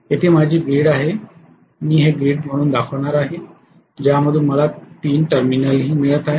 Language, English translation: Marathi, Here is my grid, I am going to show this as the grid from which I am also getting 3 terminals